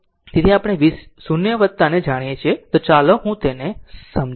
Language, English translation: Gujarati, So, we know v 0 plus, so let me clear it